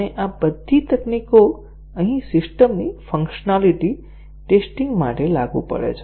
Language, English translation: Gujarati, And, all these techniques are applicable here for the functionality testing of a system